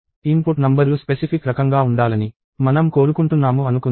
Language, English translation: Telugu, Let us say I want the input numbers to be of a specific kind